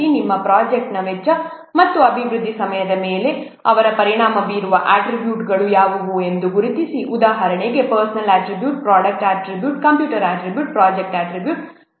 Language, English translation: Kannada, Then identify what are the attributes they are affecting the cost and development time for your project, such as personal attributes, product attributes, computer attributes, and project attributes